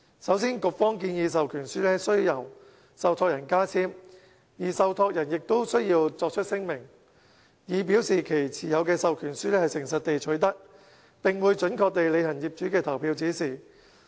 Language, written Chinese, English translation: Cantonese, 首先，局方建議授權書須由受託人加簽，而受託人亦須作出聲明，以表示其持有的授權書是誠實地取得，並會準確履行業主的投票指示。, First the Bureau proposes that proxy forms be signed by trustees who will also have to declare that the forms are obtained sincerely and that owners voting instructions will be exercised accurately